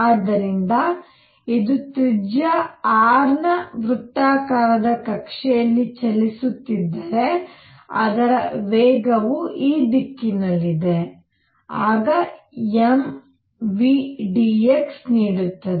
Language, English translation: Kannada, So, if it moving in a circular orbit of radius r, its velocity is in this direction, then m v times dx will give me